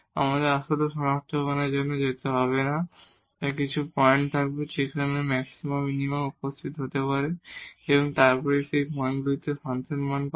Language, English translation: Bengali, We do not have to actually go for the identification, so there will be few points where the maxima minima can appear and then we will get the function value at those points